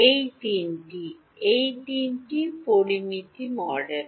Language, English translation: Bengali, These are three it is a three parameter model